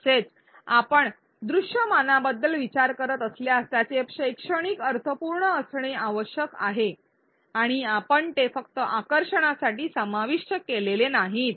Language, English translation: Marathi, Also if you are thinking about visuals they need to be pedagogically meaningful and not included just for attractiveness